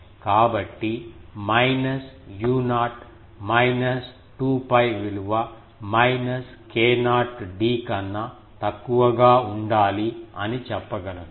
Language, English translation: Telugu, So, we can say that minus u 0 minus 2 pi should be less than minus k not d